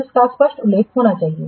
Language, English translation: Hindi, That should be clearly mentioned